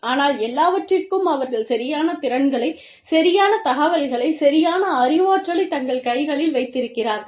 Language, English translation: Tamil, But, for everything, you know, they are keeping the actual skills, the actual information, the actual knowledge, in their own hands